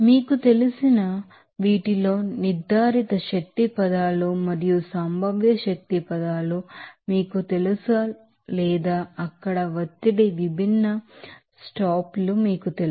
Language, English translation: Telugu, Whereas we know this you know, either of the values of these you know kinetic energy terms and potential energy terms or you know pressure different stops there